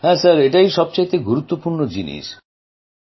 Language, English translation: Bengali, Yes sir that is the most important thing